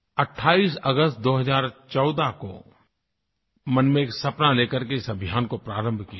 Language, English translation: Hindi, On the 28th of August 2014, we had launched this campaign with a dream in our hearts